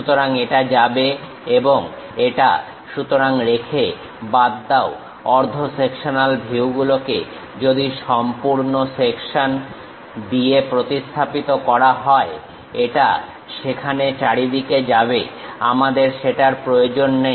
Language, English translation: Bengali, So retain, remove; in half sectional views by if it is a full section it goes all the way there, we do not require that